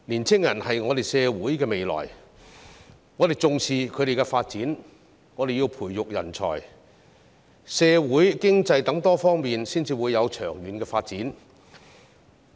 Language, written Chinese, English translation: Cantonese, 青年人是社會的未來，我們重視他們的發展，我們要培育人才，社會、經濟等多方面才會有長遠的發展。, Young people are the future of our society and we attach importance to their development . Only when we are committed to nurturing talents can we achieve further progress in social and economic development